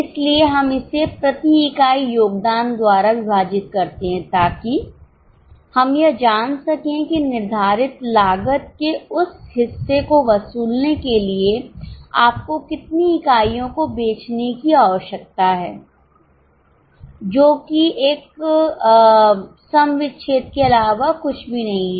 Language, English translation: Hindi, So, we divide it by contribution per unit so that we know that how many units you need to sell to recover that much of fixed cost which is nothing but a break even